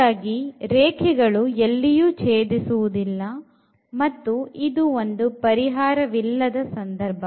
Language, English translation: Kannada, Well so, these lines do not intersect and this is the case of no solution